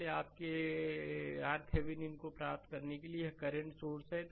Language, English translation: Hindi, Therefore for the your getting your R thevenin, this there is a current source